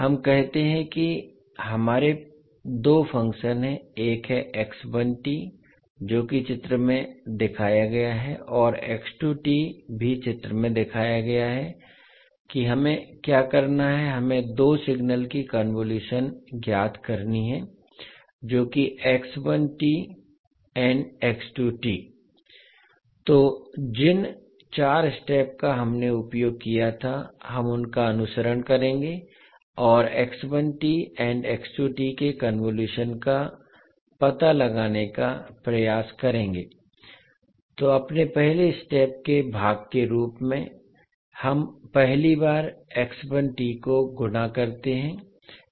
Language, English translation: Hindi, Let us say that we have two functions, one is x one t which is as shown in the figure and x two t is also as shown in figure what we have to do we have to find the convolution of 2 signals that is x one and x two, so the four steps which we disused we will follow them and try to find out the convolution of x one and x two, so as part of our first step to carry out the convolution we first fold x one t so we see when we fold how it look like